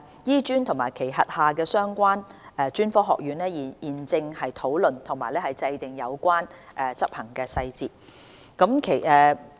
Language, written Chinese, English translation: Cantonese, 醫專及其轄下的相關專科學院現正討論及制訂有關執行細節。, HKAM and its relevant colleges are discussing and working out the implementation details